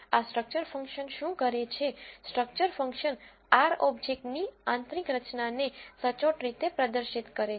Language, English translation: Gujarati, What does this structure function do, structure function compactly display the internal structure of an R object